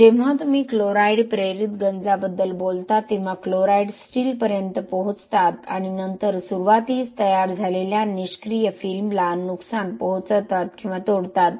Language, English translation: Marathi, When you talk about chloride induced corrosion, the chlorides will reach the steel and then damage or break the passive film which is formed at the beginning